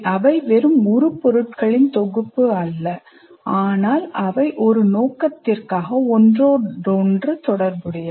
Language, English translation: Tamil, And they're not mere collection of entities, but they're interrelated for a purpose